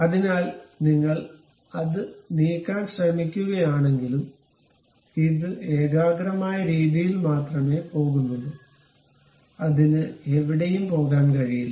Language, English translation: Malayalam, So, even if you are trying to move that one, this one goes only in the concentric way, it cannot go anywhere